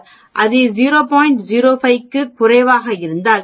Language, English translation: Tamil, 05, if it is less than 0